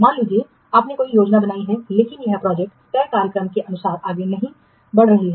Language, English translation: Hindi, Suppose you have made a plan but the project is not moving according to the schedule